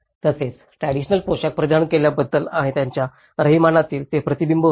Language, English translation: Marathi, And also it is reflected in terms of their wearing a traditional dress and their living patterns